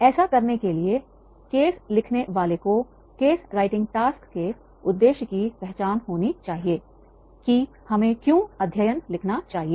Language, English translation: Hindi, In order to do that, a case writer needs to identify the purpose of the case writing task